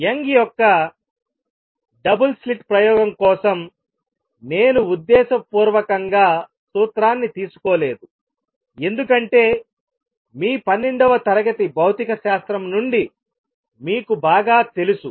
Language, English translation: Telugu, I have deliberately not derive the formula for Young’s double slit experiment, because that you know well from your twelfth grade physics